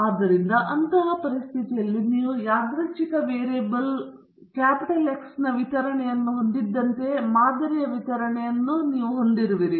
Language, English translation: Kannada, So, in such a situation you have a distribution of the sample means just as you had a distribution of the random variable x